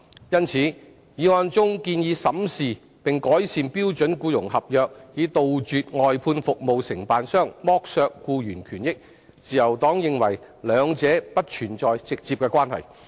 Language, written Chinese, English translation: Cantonese, 因此，議案中建議審視並改善標準僱傭合約，以杜絕外判服務承辦商剝削僱員權益，自由黨認為兩者不存在直接關係。, Hence as to the proposal in the motion for examining and improving the standard employment contract to eradicate exploitation of employees rights and benefits by outsourced service contractors the Liberal Party does not see any direct linkage between the two